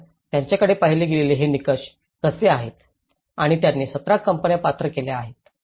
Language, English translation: Marathi, So, this is how these are the criteria they have looked at and they qualified 17 of the companies